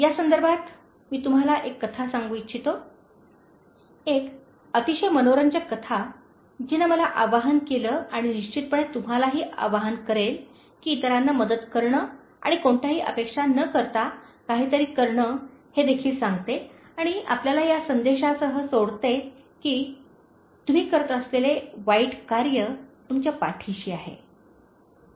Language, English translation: Marathi, In this context, I would like to tell you a story, a very interesting story which appealed to me and definitely will appeal to you, in terms of helping others and doing something without any expectation and it also tells you, leaves you with the message that “The evil you do, remains with you